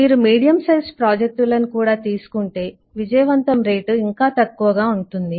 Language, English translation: Telugu, if you take into medium size projects, the success rate will be low